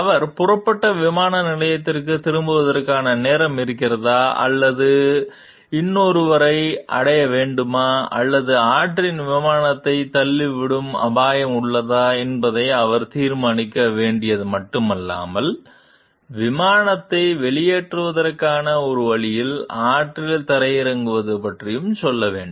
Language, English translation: Tamil, Not only did he need to decide whether there was a time to return to the airport from which he had taken off or reach another or to risk ditching the plane in the river but also how to go about landing in the river in a way that made it possible to evacuate the plane